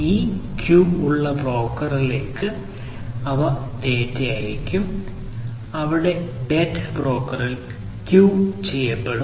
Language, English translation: Malayalam, These will send the data to the broker which has this queue, where the data will be queued at the broker